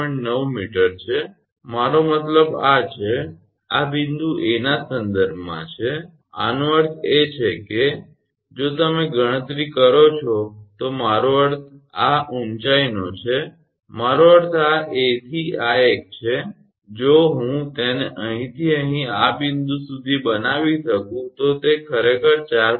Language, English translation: Gujarati, 9 meter I mean this is this is with respect to this point A, that means, if you calculate I mean this height I mean this one from A to this one if I can make it from here to here this point, it is coming actually 4